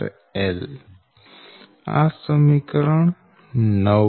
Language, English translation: Gujarati, this is equation five